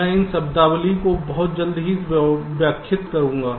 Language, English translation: Hindi, so i shall be explaining these terminologies graphically very shortly